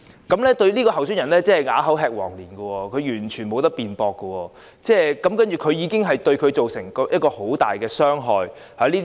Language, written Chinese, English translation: Cantonese, 這名候選人真的是啞口吃黃蓮，完全沒有辯駁的餘地，這莫須有的罪名對他造成極大的傷害。, The candidate was later alleged of handing out favours . Unfortunately he had no evidence to prove his innocence and was forced to remain silent . He was deeply hurt by this trumped - up accusation